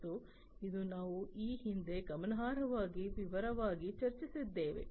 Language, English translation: Kannada, And this is something that we have already discussed in significant detailed in the past